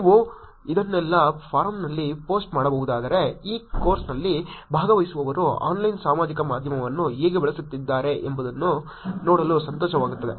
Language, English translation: Kannada, If you can post all this in forum it will be nice to see how the participants of this course are actually using Online Social Media